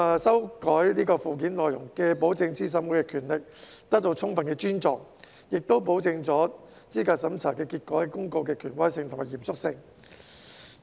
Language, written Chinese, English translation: Cantonese, 修正案既保證資審會的權力受到充分尊重，亦保證了資格審查結果公告的權威性和嚴肅性。, These amendments can guarantee that the powers of CERC are fully respected while assuring the authority and solemnity of the notices on the results of candidate eligibility reviews